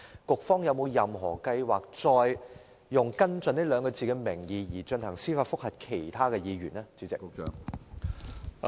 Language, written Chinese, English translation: Cantonese, 局方日後有否任何計劃再以"跟進"兩字的名義，向其他議員提出司法覆核？, Do the authorities have any further plans to initiate judicial reviews against any other Members in the name of follow - up work in the future?